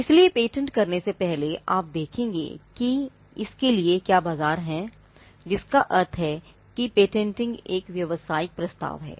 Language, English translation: Hindi, So, before you patent, you would see whether there is a market for it; which means it patenting is a business proposition